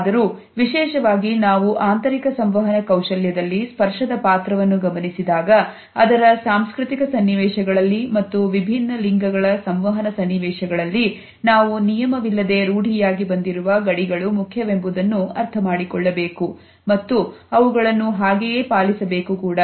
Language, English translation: Kannada, However, particularly when we look at the role of touch in interpersonal skills, particularly within intercultural situations and in across gender situations we have to understand that the set and unset boundaries are important and they have to be kept intact